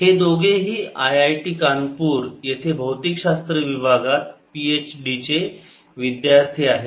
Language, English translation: Marathi, they are both students at the physics department in i i t kanpur